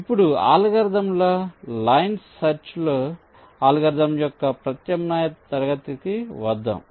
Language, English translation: Telugu, ok, now let us come to an alternate class of algorithms: line search algorithm